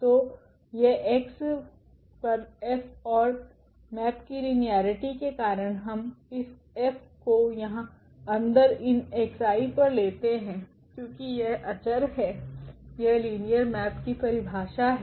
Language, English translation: Hindi, So, this F on x and due to the linearity of the map we can take this F here inside this x i’s because these are the constant that is the definition of the linear map